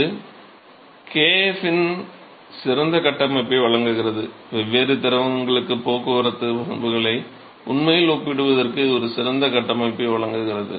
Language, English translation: Tamil, So, this provides an excellent framework oh kf; this provides an excellent framework for actually comparing the transport properties for different fluids